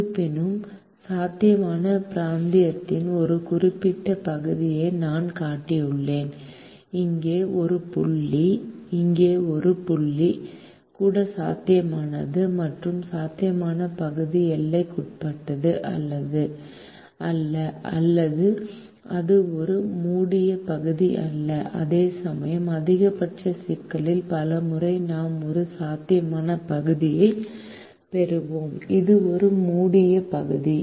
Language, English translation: Tamil, one would realize that a point here, a point here is also feasible and a feasible region is not bounded or it's not a closed region, whereas in a maximization problem, many times we would get a feasible region that is a closed region